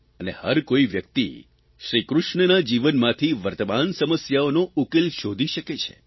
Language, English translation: Gujarati, Everyone can find solutions to present day problems from Shri Krishna's life